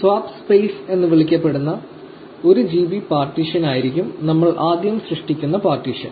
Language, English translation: Malayalam, The first partition we will create will be 1 GB partition called the swap space